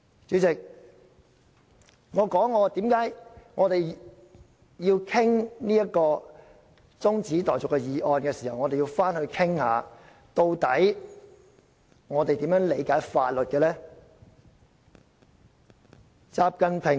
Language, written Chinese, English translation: Cantonese, 主席，讓我解釋為何我們討論中止待續議案時，要討論究竟我們如何理解法律。, President let me explain why we should discuss the interpretation of the law in our discussion of the adjournment motion